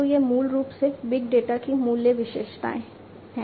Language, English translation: Hindi, So, this is basically the value attribute of big data